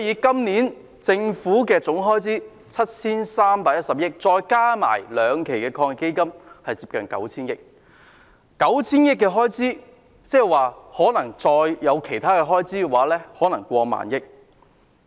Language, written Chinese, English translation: Cantonese, 今年的政府總開支 7,310 億元，連同兩輪防疫抗疫基金是接近 9,000 億元，而這筆款項再加上其他開支會達過萬億元。, The total government expenditure of 731 billion this year together with the funding allocated under the two rounds of the Anti - epidemic Fund AEF amounts to nearly 900 billion and this sum together with other expenses equals over 1 trillion